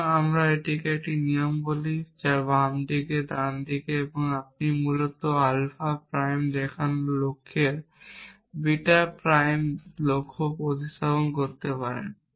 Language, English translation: Bengali, So, we call this a rule left hand side, right hand side, then you can replace the goal of showing beta prime with the goal of showing alpha prime essentially